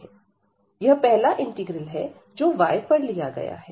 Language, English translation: Hindi, So, this is the first integral, which is taken over y